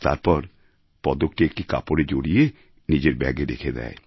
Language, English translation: Bengali, After that, she wrapped a cloth around the medal & kept it in a bag